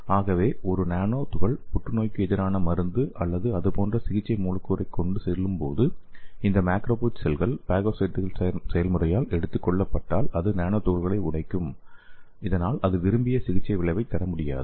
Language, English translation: Tamil, Then it release the degraded nanomaterials, so if a nanoparticle is carrying a therapeutic molecule like a anti cancer drug or anything, so if it is taken up by these macrophage cells by the phagocytes process then it will degrade the nanoparticles, then it cannot induce the desired therapeutic effect